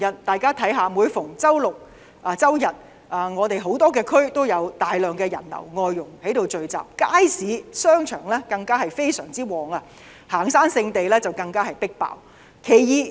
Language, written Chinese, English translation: Cantonese, 大家看看，每逢周六周日多區都有大量人流及外傭聚集，街市、商場十分暢旺，行山聖地更是異常擠迫。, If we look at the current situation every weekend large crowds of people and domestic helpers will get together in various districts . Markets and shopping malls are crowded with people . Even popular hiking destinations are extremely jam - packed with hikers